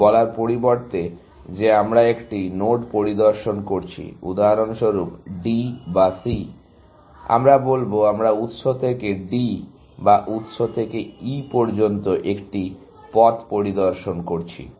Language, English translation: Bengali, That instead of saying, that we are visiting a node, for example, D or C, we will say, we are inspecting a path from source to D or source to E, and we are looking at different possible paths, and we will